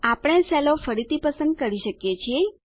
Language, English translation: Gujarati, We are able to select the cells again